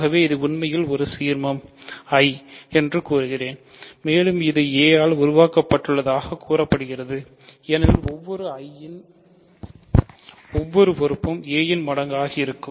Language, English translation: Tamil, So, I claim that this is actually an ideal and it is said to be generated by a because every element of I is a multiple of a